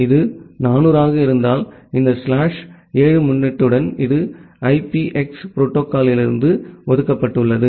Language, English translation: Tamil, If it is 400 then, this with this slash 7 prefix it is reserved for IPX protocol